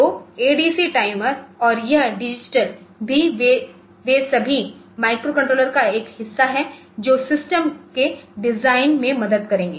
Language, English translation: Hindi, So, the sorry ADC timer and this digital I also they are all part of the microcontroller that helps in the design of the system